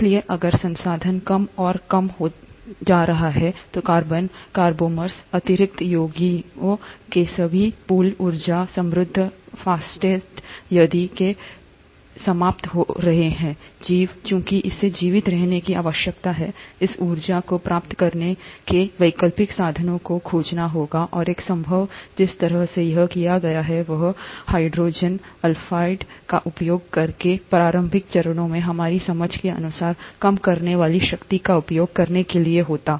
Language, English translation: Hindi, So if the resources are getting lower and lower, all that pool of carbonaceous inner compounds, energy rich phosphates, if they are getting exhausted, the organism, since it needs to survive, has to find alternate means of obtaining this energy, and one possible way by which it would have done that would have been to use the reducing power which it did, as per our understanding in the initial phases using hydrogen sulphide